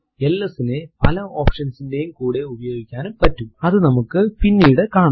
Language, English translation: Malayalam, ls can be used with many options which we will see later